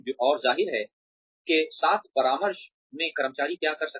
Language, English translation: Hindi, And, of course, in consultation with, what the employees can do